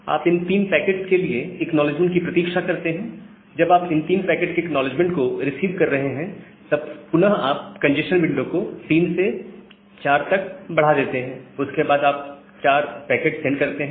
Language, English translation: Hindi, You wait for the acknowledgement for those three packets, whenever you are receiving the acknowledgement for those three packets, again you increase the congestion window to four from three, and send four packets